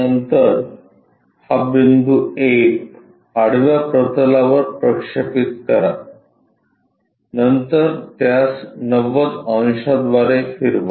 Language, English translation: Marathi, Then, project this point A on to horizontal plane, then rotate it by 90 degree